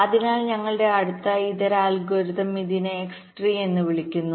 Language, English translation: Malayalam, so our next alternate algorithm, this is called x tree